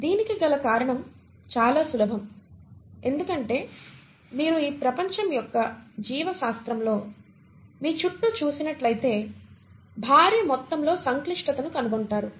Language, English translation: Telugu, And the reason is very simple because if you look around yourself in this world of life biology, you find huge amount of complexity